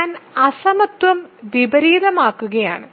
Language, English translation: Malayalam, So, I am just inverting the inequality